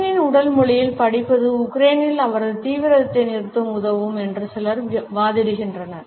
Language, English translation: Tamil, Some argues study in Putin’s body language could help to terminate his intensions in Ukraine